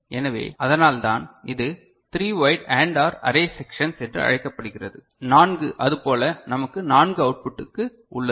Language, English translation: Tamil, So, that is why it is called three wide AND OR array sections we have 4 such for 4 output is it ok